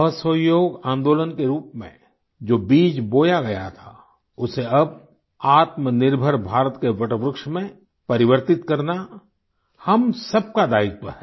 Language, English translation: Hindi, A seed that was sown in the form of the Noncooperation movement, it is now the responsibility of all of us to transform it into banyan tree of selfreliant India